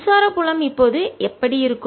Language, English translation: Tamil, how about the electric field